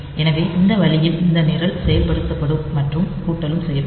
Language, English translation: Tamil, So, this way this program will be executed and do the addition